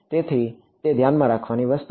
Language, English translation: Gujarati, So, that is something to keep in mind